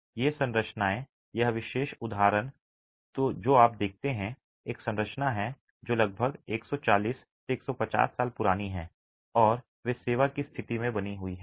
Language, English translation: Hindi, These are structures, this particular example that you see here is a structure that is about 140, 150 years old and they continue to be in service conditions